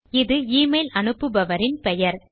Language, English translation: Tamil, This will be the name of the person sending me the email